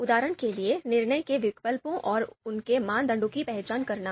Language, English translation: Hindi, For example, identifying the decision alternatives and their criteria